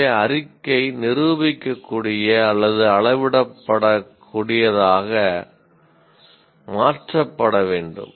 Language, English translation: Tamil, So, the statement should be modified to something that is demonstrable or measurable